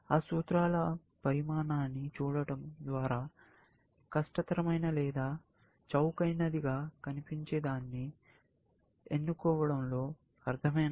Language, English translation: Telugu, If by looking at the size of those formulaes, does it make sense to choose something, which looks harder or something, which looks cheaper, essentially